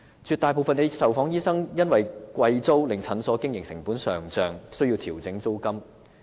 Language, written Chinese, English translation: Cantonese, 絕大部分受訪醫生因租金昂貴而令診所的經營成本上漲，需要調整診金。, The vast majority of the medical practitioners interviewed have to adjust their charges since exorbitant rents have pushed up the operating costs of their clinics